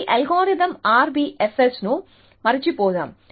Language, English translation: Telugu, Let us forget this algorithm RBFS